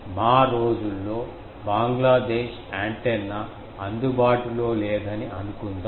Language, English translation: Telugu, In our days, we remember that suppose Bangladesh antenna was not available